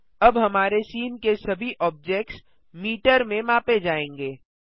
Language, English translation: Hindi, Now all objects in our scene will be measured in metres